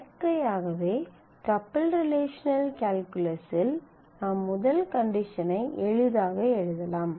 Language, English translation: Tamil, Naturally in tuple relational calculus you can easily write the first condition is you are doing it on r